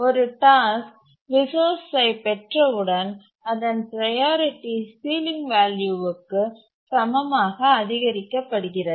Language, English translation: Tamil, And once a task acquires the resource, its priority is increased to be equal to the ceiling value